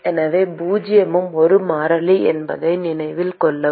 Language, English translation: Tamil, So, note that zero is also a constant